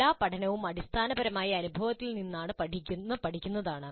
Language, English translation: Malayalam, All learning is essentially learning from experience